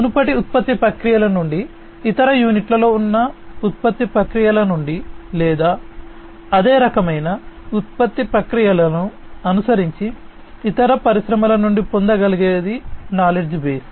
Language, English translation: Telugu, Knowledge base from the same industry from a previous production processes, existing production processes in other units, or from the knowledge base that can be obtained from other industries following similar kind of production processes